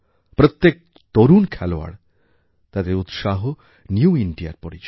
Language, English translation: Bengali, Every young sportsperson's passion & dedication is the hallmark of New India